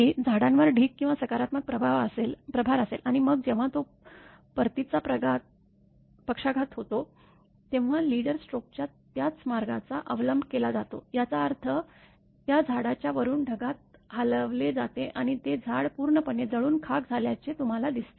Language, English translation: Marathi, That there will be heavy accumulation or a positive charge on the trees and then, when there is a return stroke, when it moves; following the same path of the leader stroke; that means, from the top of that tree is moved to the cloud and it makes an electrical short circuit; that is why you see that tree is completely burned actually